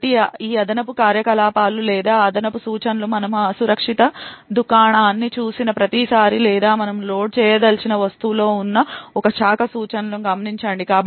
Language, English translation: Telugu, So, note that these extra operations or these extra instructions are done every time we see an unsafe store or a branch instruction present in the object that we want to load